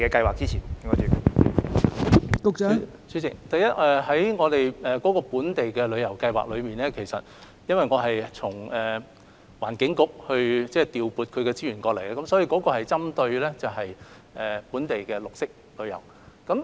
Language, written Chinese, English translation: Cantonese, 代理主席，首先，本地旅遊計劃是從環境局調撥資源過來，所以針對的是本地綠色旅遊的項目。, Deputy President first the local tourism scheme is funded by HKTB . It targets on projects of green lifestyle local tour